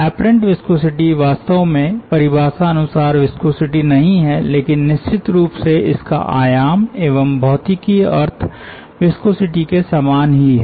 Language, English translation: Hindi, a apparent viscosity is not really the viscosity in the proper definition sense, but ofcourse it has the same dimension of viscosity and it has a sort of similar physical sense as that of viscosity